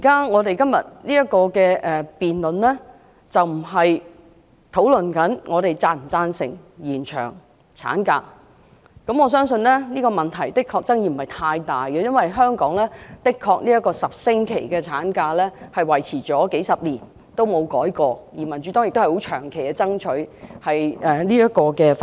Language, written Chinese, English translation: Cantonese, 我們現正進行的辯論，並非討論是否贊成延長產假，我相信這個問題的確沒有太大爭議，因為香港的10星期法定產假維持了幾十年都不曾作出修改，而民主黨已長期爭取修訂這項法例。, Now we are not discussing whether we agree to an extended maternity leave in our present debate . I believe there is actually little controversy over this issue because the 10 - week statutory maternity leave in Hong Kong has remained unchanged for several decades and the Democratic Party has long been striving for amendments to this piece of legislation